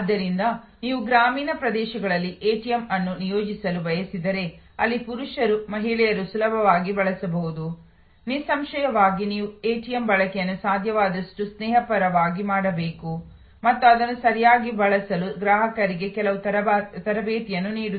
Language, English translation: Kannada, So, if you want to deploy ATM in rural areas, where men, women can easily use then; obviously, you have to make the ATM use as friendly as possible and also provides certain training to the customers to use it properly